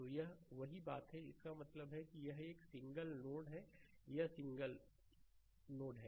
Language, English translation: Hindi, So, that is the that is the thing; that means is a single node, right, it is single node